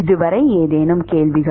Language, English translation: Tamil, Any questions so far